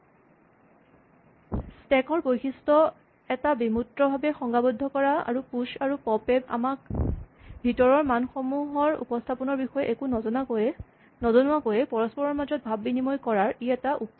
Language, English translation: Assamese, This is a way of abstractly defining the property of a stack and how push and pop interact without actually telling us anything about how the internal values are represented